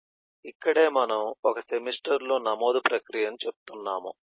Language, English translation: Telugu, so this is here we are showing process of eh enrolment into the, into a semester